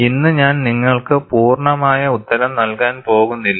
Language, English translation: Malayalam, I am not going to give you the complete answer today